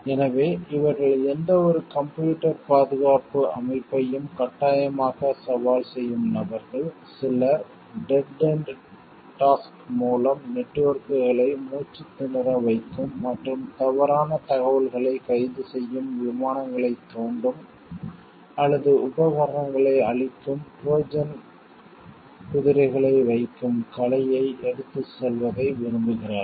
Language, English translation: Tamil, So, these are people who compulsively challenge any computer security system, some even like carry the art to place Trojan horses that choke networks with dead end task and spew out false information arrest flights or even destroy equipments